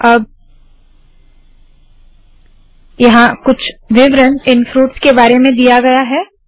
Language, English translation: Hindi, Now there is some write up about these fruits